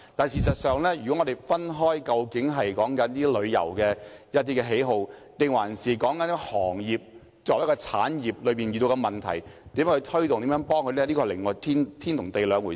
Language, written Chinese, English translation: Cantonese, 事實上，談論個人的旅遊喜好，與談論旅遊業作為一個產業所遇到的問題，以及如何推動和協助旅遊業，是天與地的兩回事。, In fact talking about ones travel preferences is totally different from discussing the specific issues faced by the tourism industry and the ways to boost and help the industry